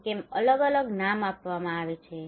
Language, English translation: Gujarati, Why they are given different names